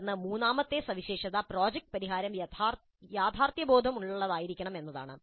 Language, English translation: Malayalam, Then the third feature is that the solution must be realistic